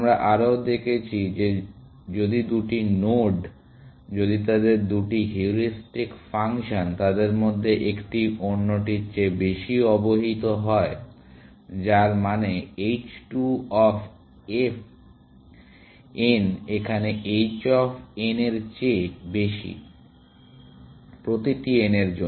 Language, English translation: Bengali, We also saw that if two nodes, if their two heuristic functions, one of them is more informed than the other, which means h 2 of n is greater than h 1 of n, for every n